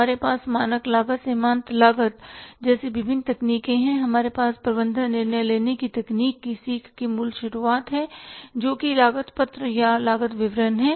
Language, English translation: Hindi, We have different techniques like standard costing, marginal costing, we have the activity based costing and we have the basic beginning of the learning of the management decision making technique that is the cost seat or the cost statement